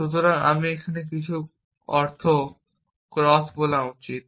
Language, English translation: Bengali, So, I should say here some sense cross